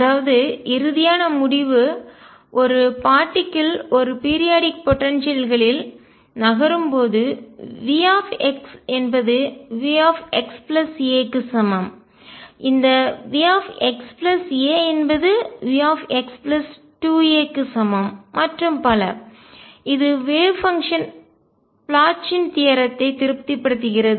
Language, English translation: Tamil, So, conclusion when a particle is moving in a periodic potential, V x equals V x plus a is equal to V x plus 2 a and so on, it is wave function satisfies the Bloch’s theorem